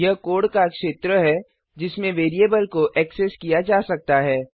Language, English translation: Hindi, It is the region of code within which the variable can be accessed